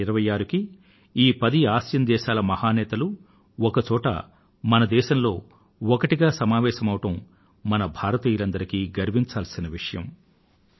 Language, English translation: Telugu, On 26th January the arrival of great leaders of 10 nations of the world as a unit is a matter of pride for all Indians